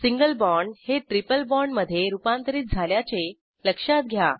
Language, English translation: Marathi, Observe that Single bond is converted to a triple bond